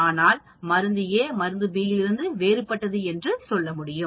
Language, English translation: Tamil, Or drug A could be worse than drug B